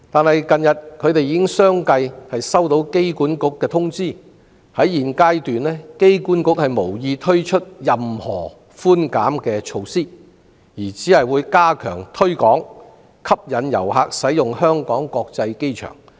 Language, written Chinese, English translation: Cantonese, 然而，近日他們已相繼接獲機管局通知，指現階段機管局無意推出任何寬減措施，而只會加強推廣，以吸引遊客使用香港國際機場。, However AA has recently notified them that it had no intention to reduce any rents or fees at the present stage but would enhance the promotion of their services to attract more visitors to use the Airport